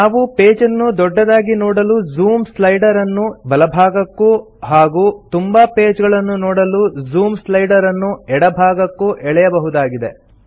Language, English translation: Kannada, We can also drag the Zoom slider to the right to zoom into a page or to the left to show more pages